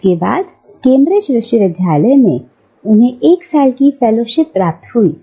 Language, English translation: Hindi, And, this was followed by a year of fellowship at the University of Cambridge